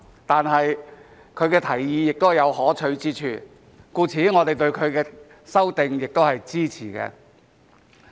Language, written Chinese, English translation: Cantonese, 但是，他的提議也有可取之處，所以我們對他的修訂也是支持的。, However there are merits with this proposal so we are supportive of his amendments too